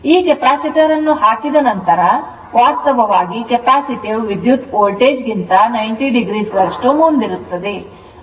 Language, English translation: Kannada, Now, after putting the Capacitor, Capacitor actually capacitive current will reach the Voltage by 90 degree